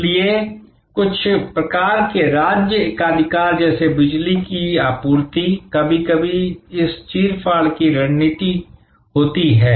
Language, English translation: Hindi, So, certain types of state monopoly like the electricity supply, sometimes has this rip off strategy